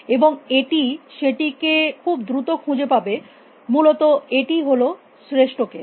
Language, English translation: Bengali, And it will find it very quickly essentially that is a best case